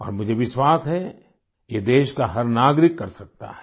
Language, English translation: Hindi, And I do believe that every citizen of the country can do this